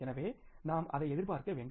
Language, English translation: Tamil, So, we have to anticipate it